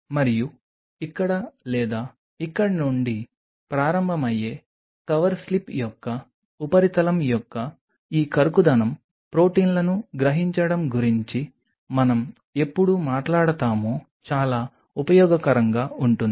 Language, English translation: Telugu, And this roughness of the surface of a cover slip starting from here or here will be very helpful why when will we talk about absorbing the proteins